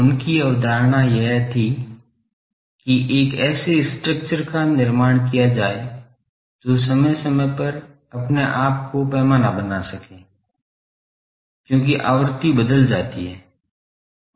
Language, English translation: Hindi, His concept was that build a structure that can scales itself up periodically, as the frequency gets changed